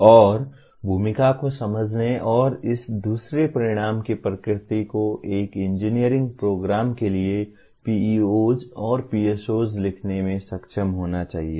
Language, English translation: Hindi, And having understood the role and the nature of this the second outcome is one should be able to write the PEOs and PSOs for an engineering program